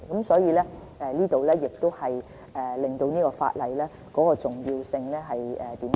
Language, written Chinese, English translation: Cantonese, 所以，這顯示修訂法例的重要性。, This demonstrates the gravity of the legislative amendment